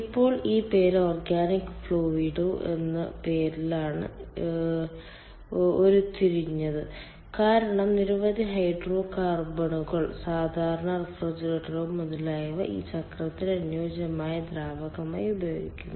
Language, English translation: Malayalam, now the name is derived for organic fluid because many hydrocarbons, common refrigerants, etcetera are used as the suitable fluid for this cycle and ah